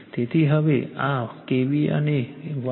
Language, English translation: Gujarati, So, now this is your , KVA and right 123